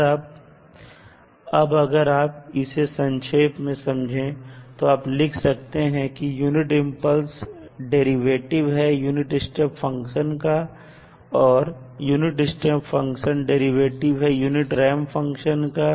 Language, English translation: Hindi, You can simply write that the delta t is nothing but derivative of unit step function and the unit step function is derivative of unit ramp function